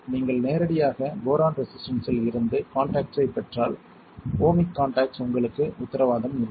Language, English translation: Tamil, If you directly take contact from boron resistors you are not guaranteed to have the ohmic contact